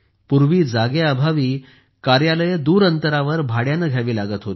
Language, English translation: Marathi, Earlier, due to lack of space, offices had to be maintained on rent at far off places